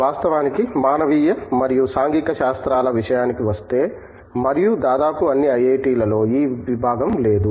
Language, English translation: Telugu, In fact, there is when it comes to humanities and social sciences and not almost all IIT's have this department